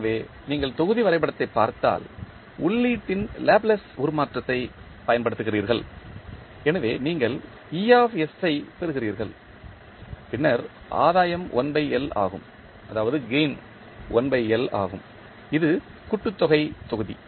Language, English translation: Tamil, So, if you see the block diagram, you use the Laplace transform of the input, so you get es then gain is 1 by L this is the summation block